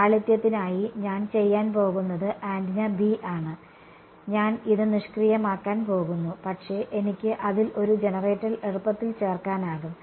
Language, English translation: Malayalam, For simplicity, what I am going to do is the antenna B, I am just going to make it passive ok, but I can easily add a generator to it ok